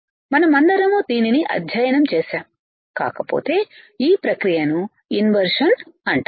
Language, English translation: Telugu, We have all studied this if not this, is this process is called inversion